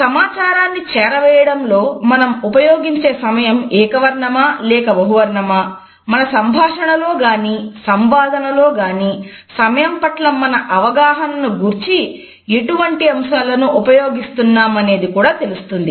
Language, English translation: Telugu, Whether the time we keep in our communication is monochrome or polychrome or whether during our dialogues and conversations we are using different aspects related with our understanding of time